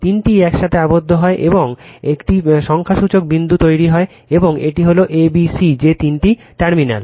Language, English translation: Bengali, All three are bound together and a numerical point is formed, and this is a, b, c that three terminals right